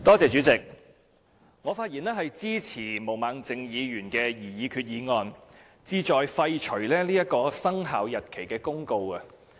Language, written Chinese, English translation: Cantonese, 主席，我發言支持毛孟靜議員的議案，議案旨在廢除這項生效日期公告。, President I speak in support of Ms Claudia MOs motion which seeks to repeal the Commencement Notice